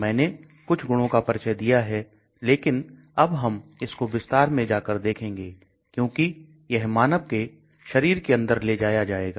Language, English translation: Hindi, I did introduce some of those properties, but we will start going more in detail , so because it has taken inside the human body